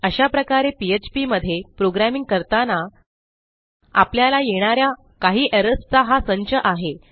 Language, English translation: Marathi, So we have got a small collection of errors that you might come across when you are programming in php